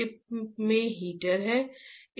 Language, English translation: Hindi, Chip is having a heater